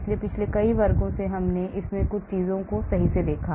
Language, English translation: Hindi, so in the past many classes we did look at some of these things right